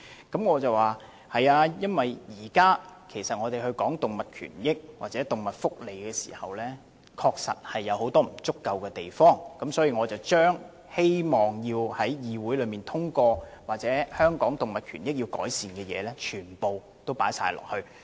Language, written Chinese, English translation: Cantonese, 由於現時社會上討論維護動物權益和動物福利時，仍有很多不足之處，所以我希望若修正案能夠獲得議會通過，應盡量涵蓋在香港動物權益方面需要改善的地方。, At present the subject of safeguarding animal rights and welfare has yet to be thoroughly and thoughtfully discussed in society . That is why I hope that if my amendment can be passed it should cover as many areas of improvement as possible in respect of safeguarding animal rights in Hong Kong